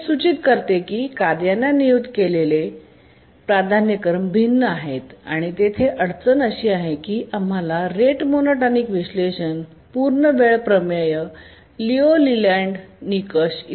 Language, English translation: Marathi, This indicates that the priorities assigned to the tasks are different and the difficulty here is that the results that we got for the rate monotonic analysis that is completion time theorem, liu layland criterion, etc